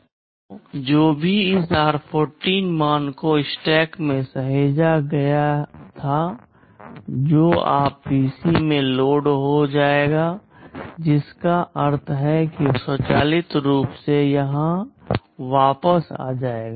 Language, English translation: Hindi, So, whatever this r14 value was saved in the stack that will now get loaded in PC, which means it will automatically return back here